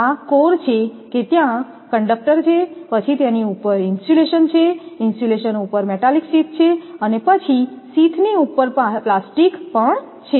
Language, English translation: Gujarati, This is your core that conductor is there then you are you have the insulation, over insulation metallic sheath is there and then your plastic over sheath is also there